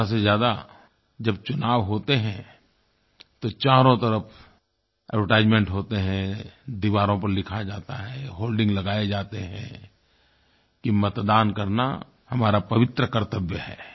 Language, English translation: Hindi, At the most, whenever there are elections, then we see advertisement all around us, they write on the walls and hoardings are put to tell that to vote is our sacred duty